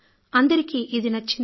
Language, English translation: Telugu, People like it